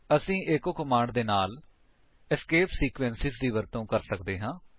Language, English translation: Punjabi, We can also use escape sequences with echo command